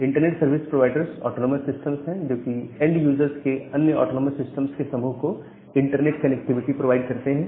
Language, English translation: Hindi, The internet service providers are the autonomous system that provides internet connectivity to another group of autonomous systems of the end users